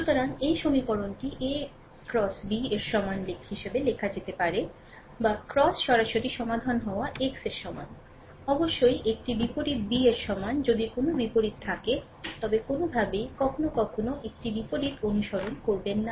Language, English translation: Bengali, Or x is equal to directly solved x is equal to a inverse b of course, if a inverse exist, but any way ah sometimes we do not follow a inverse